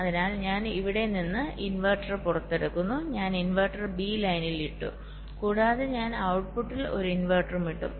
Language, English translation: Malayalam, i modify the circuits so i put the, i take out the inverter from here, i put the inverter on line b and also i put an inverter on the output